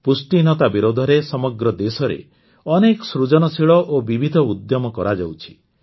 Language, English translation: Odia, Many creative and diverse efforts are being made all over the country against malnutrition